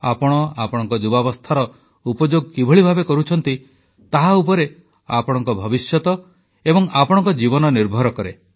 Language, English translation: Odia, Your life & future entirely depends on the way your utilized your youth